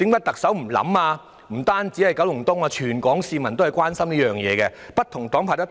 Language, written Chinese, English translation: Cantonese, 其實，不單是九龍東，全港市民也很關心，而且不同黨派也有提及。, In fact not only residents of Kowloon East but all Hong Kong citizens have shown great concern and different parties and groupings have mentioned this point before